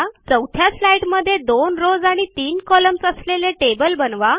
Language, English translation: Marathi, On the 4th slide, create a table of 2 rows and three columns